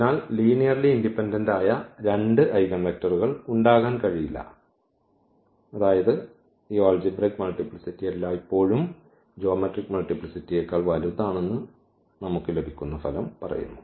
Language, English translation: Malayalam, So, there cannot be two linearly independent eigenvectors, that was that result says where we have that these algebraic multiplicity is always bigger than the geometric multiplicity